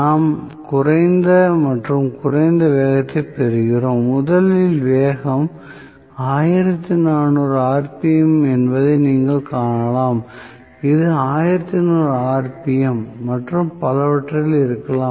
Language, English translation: Tamil, So, we get lower and lower speed, you can see that the speed is originally probably 1400 rpm, may be this is at 1200 rpm and so on